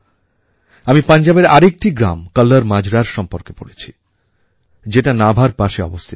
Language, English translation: Bengali, I have also read about a village KallarMajra which is near Nabha in Punjab